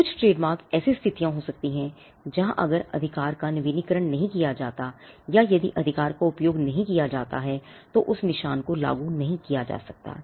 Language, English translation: Hindi, Some of the trademarks can be situations where if the right is not renewed or if the right is not used then that marks cannot be enforced